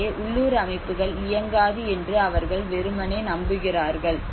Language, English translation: Tamil, So they simply believe that it is traditional in the local systems are does not work